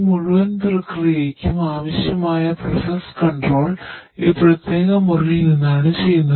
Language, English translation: Malayalam, So, for this entire process the process control is done from this particular room right